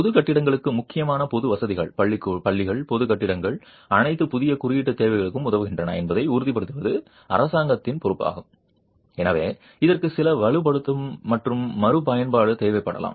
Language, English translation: Tamil, For public buildings, it is the responsibility of the government to ensure that important public facilities, schools, public buildings are all catering to the new code requirements and therefore it might require some strengthening and retrofit